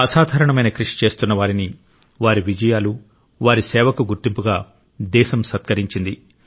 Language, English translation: Telugu, The nation honored people doing extraordinary work; for their achievements and contribution to humanity